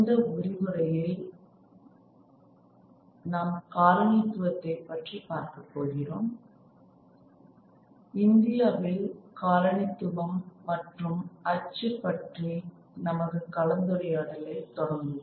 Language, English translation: Tamil, We will begin our discussion on colonialism and print in India